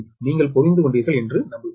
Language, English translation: Tamil, i hope you have understood this right